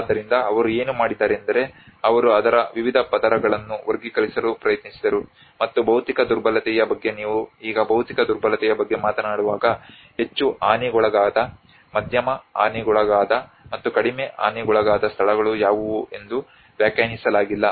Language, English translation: Kannada, So that is how what they did was they tried to classify different layers of it and like physical vulnerability now when you talk about the physical vulnerability what are the places which has been in highly damaged, medium damaged, and the low damaged and which has been not defined